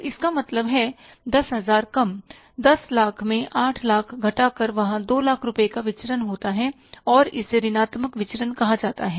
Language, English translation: Hindi, So, it means 10,000 or 10 lakh minus 8 lakhs, there is a variance of 2 lakh rupees and this is called as a negative variance